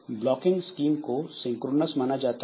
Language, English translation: Hindi, So, blocking scheme is considered to be synchronous